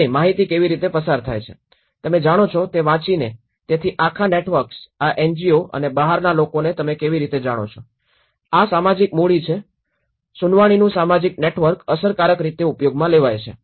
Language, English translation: Gujarati, And how the information is passed on, reading you know, so this whole networks how these NGOs and outsiders you know how, this social capital is social network of hearing is effectively used